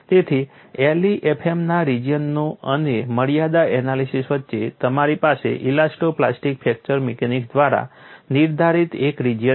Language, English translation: Gujarati, So, between the regions of LEFM and limit analysis, you have a region dictated by elasto plastic fracture mechanics